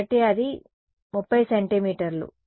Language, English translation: Telugu, So, that is 30 centimeters